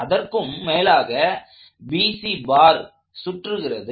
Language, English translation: Tamil, So, let us continue on to bar BC